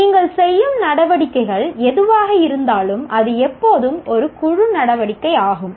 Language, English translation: Tamil, Whatever it is, whatever be the activity that you do, it is always a group activity